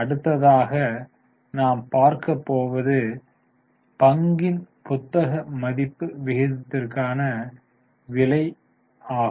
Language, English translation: Tamil, The next is price to book value ratio